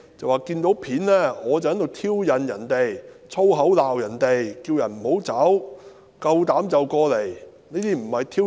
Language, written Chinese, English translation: Cantonese, 他說從片段看到我在挑釁人，說粗口罵人，叫他們不要離開，夠膽就過來。, He said from the footage he saw me provoke other people and scold them with swear words telling them not to go away and to come up if they had guts